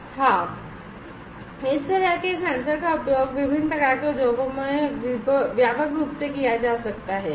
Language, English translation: Hindi, Yes these kind of sensors are widely used in different kind of industries